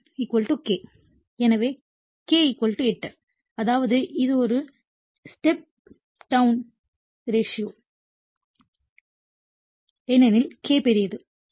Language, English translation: Tamil, So, K = 8; that means, it is a step down transformer because K greater than right